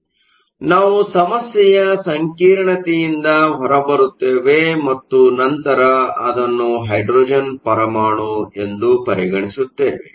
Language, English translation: Kannada, So, we get rid of the complexity of the problem and then treated as a hydrogen atom